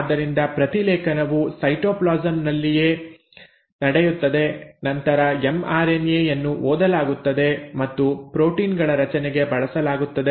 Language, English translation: Kannada, So the transcription happens in the cytoplasm itself and then the mRNA is read and is used for formation of proteins